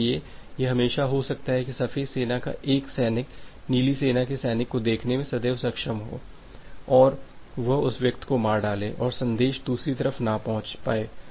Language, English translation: Hindi, So, it may always happen that one soldier of white army is able to see that the soldier of the blue army and kill that person and the message is not delivered in the other way